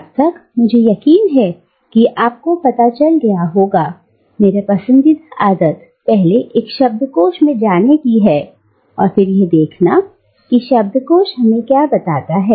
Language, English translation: Hindi, And, as by now, I am sure you will know, my favourite habit is to first to go to a dictionary and see what the dictionary tells us